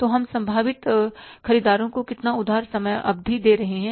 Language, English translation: Hindi, So, how much credit period we are giving to our, say, potential buyers